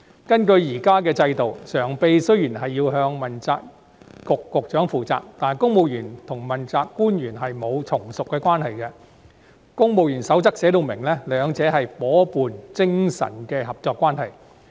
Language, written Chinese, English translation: Cantonese, 根據現行制度，常任秘書長雖然要向問責局長負責，但公務員和問責官員沒有從屬關係，而《公務員守則》亦訂明兩者是夥伴精神的合作關係。, Under the existing system a Permanent Secretary is answerable to a corresponding accountability Bureau Director but there is no subordinate relationship between civil servants and accountability officials . And the Civil Service Code also stipulates that the relationship between the two is one of cooperation based on partnership